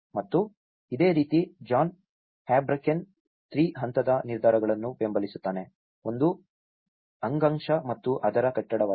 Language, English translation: Kannada, And similarly, John Habraken supports on 3 levels of decision making; one is the tissue and the support which is the base building